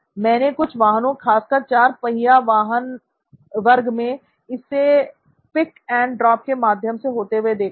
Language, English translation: Hindi, Now, I have seen a few automobile, particularly in the four wheeler segment adopt this as a pick up and drop